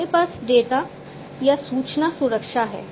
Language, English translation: Hindi, We have data or information security, right